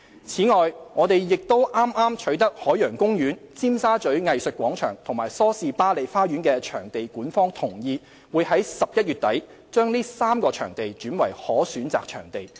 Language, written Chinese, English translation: Cantonese, 此外，我們亦剛取得海洋公園、尖沙咀藝術廣場和梳士巴利花園的場地管方同意，會在11月底把這3個場地轉為可選擇場地。, Besides we also just obtained consent from the management of Ocean Park Tsim Sha Tsui Art Square and Salisbury Garden to turn the three venues into optional venues in end November